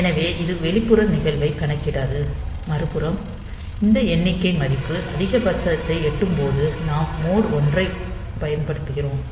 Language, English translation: Tamil, So, it will not count the external event, on the other hand if you when this count value will reach it is maximum, since we are using mode 1